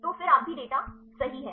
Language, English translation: Hindi, So, then you are also get the data right